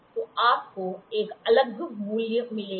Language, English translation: Hindi, So, you will get a different value